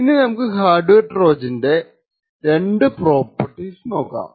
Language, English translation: Malayalam, So, let us take a simple example of a hardware Trojan